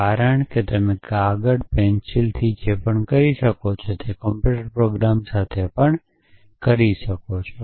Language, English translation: Gujarati, Because whatever you can do with paper and pencil you can do with a computer program as well